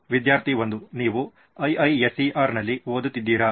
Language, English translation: Kannada, Are you a student of IISER